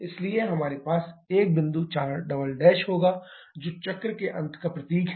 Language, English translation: Hindi, So, we shall be having a point 4 double prime which signifies the end of the cycle